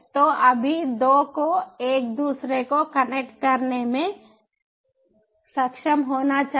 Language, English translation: Hindi, so right now the two should be able to connect to each other